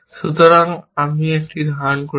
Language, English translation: Bengali, So, I am holding a